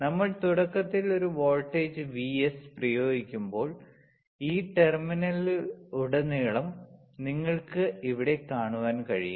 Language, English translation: Malayalam, Now when a voltage Vs is initially applied when we apply the voltage Vs, you see here across this terminal